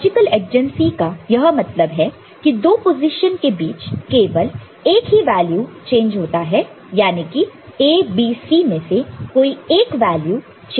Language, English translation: Hindi, So, by logical adjacency we what we mean is that between two positions only one value will be changing one of the A, B, C value will be changing